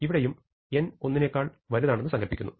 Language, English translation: Malayalam, Here, I have a different n, I have n greater than equal to 2